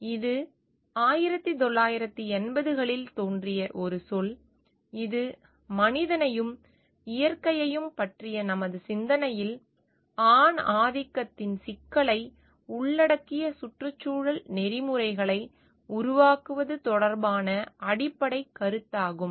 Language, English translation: Tamil, It is a term which is emerged in 1980 s, it is basic premise relates to constructing environmental ethic incorporating the problem of patriarchy into our thinking about human and nature